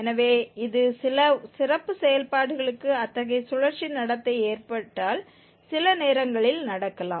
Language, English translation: Tamil, So, this also can happen at some point of time if such a cyclic behavior occurs for some special functions